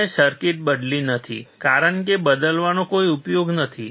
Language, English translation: Gujarati, I have not changed the circuit because there is no use of changing